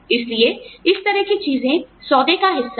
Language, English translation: Hindi, So, stuff like that, is part of the deal